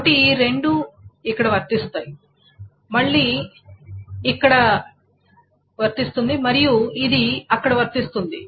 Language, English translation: Telugu, So these two flows here, this again flows, and this flows here